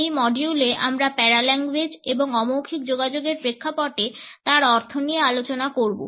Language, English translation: Bengali, In this module we would take up Paralanguage and it is connotations in the context of nonverbal aspects of communication